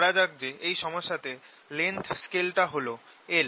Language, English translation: Bengali, now let me assumed that the length scale in the problem that we are solving in this is l